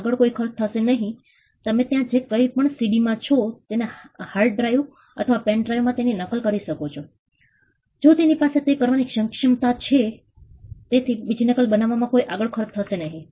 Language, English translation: Gujarati, Next to nothing, you can just copy it whatever is there in a CD onto a hard drive or to a pen drive if it has the capacity to do it, so the cost of making the second copy is next to nothing